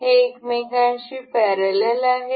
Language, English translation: Marathi, This is parallel to each other